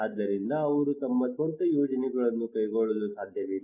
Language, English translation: Kannada, So they cannot carry out their own projects